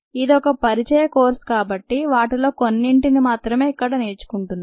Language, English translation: Telugu, this is ended in an introductory course, so will see only some of them